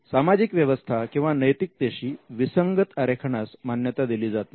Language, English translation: Marathi, Designs that are contrary to public order or morality will not be granted